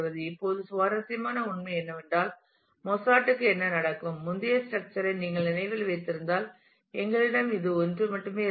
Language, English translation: Tamil, Now the interesting fact is what happens to Mozart who which was there if you if you remember the earlier structure this is we had only 1 here